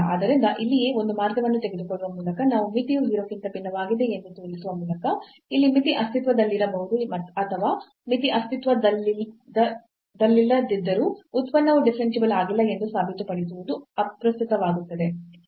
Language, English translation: Kannada, So, here itself by taking one path and showing the limit is different from 0 though the limit may exist or limit does not exist, it does not matter to prove that the function is not differentiable